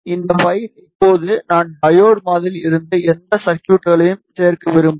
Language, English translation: Tamil, And in this file now I want to include whatever circuit I had in the diode model